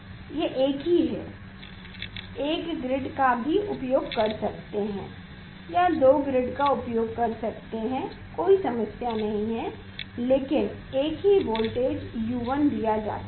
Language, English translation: Hindi, it is same one can use one grid, one can use two grid there is no problem, but same voltage is given U 1